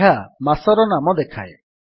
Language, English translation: Odia, It gives the name of the month